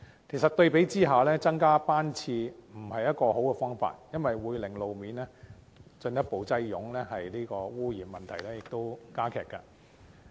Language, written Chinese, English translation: Cantonese, 其實，相比之下，增加班次不是一個好方法，因為會令路面進一步擠塞，污染問題亦會加劇。, Actually comparatively speaking increasing service frequency is not a good option because road traffic will become more congested and the pollution problem aggravated